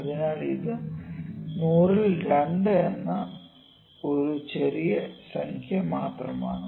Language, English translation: Malayalam, So, this is 2 out of 100 is just a small number